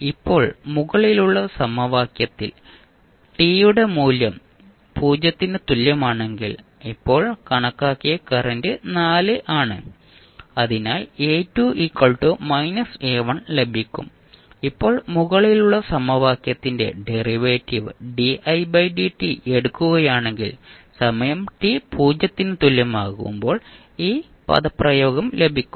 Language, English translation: Malayalam, Now if you put the value of t is equal to 0 in the above equation you know that i at time t is equal to 0 is 4 which you just calculated so you get A2 is equal to minus A1, now if you take the derivative of the above equation di by dt you will get this expression at time t is equal to 0, di 0 by dt is nothing but minus 11